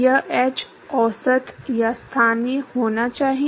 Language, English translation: Hindi, This h should be average or local